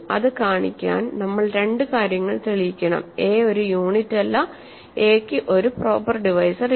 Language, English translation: Malayalam, So, to show, we have to show two things, a is not a unit and a has no proper divisors, right